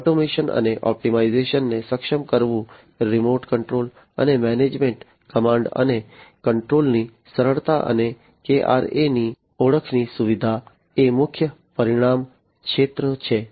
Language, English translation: Gujarati, Enabling automation and optimization, remote control and management, ease of command and control, and facilitation of the identification of the KRAs, are the key result areas